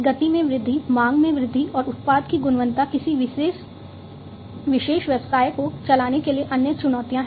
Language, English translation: Hindi, Increase in speed, increase in demand, and quality of product are the other challenges to drive a particular business